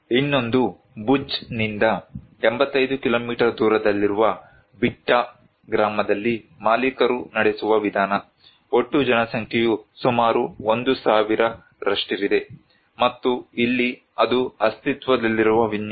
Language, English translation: Kannada, Another one is the owner driven approach in Bitta village, 85 kilometer from the Bhuj, total population is around 1000 and here it was the existing layout